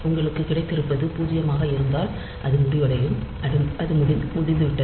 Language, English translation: Tamil, So, if you have got is zero then it will be ending, so that is over